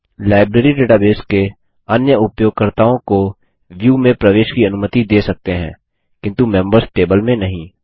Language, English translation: Hindi, Other users of the Library database can be allowed to access this view but not the Members table